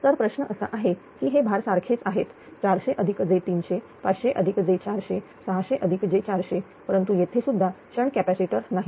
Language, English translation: Marathi, So, question question is that this loads are same this loads are same 400 plus j 300, 500 plus j 400, 600 plus j 400, but there is no shunt capacitor also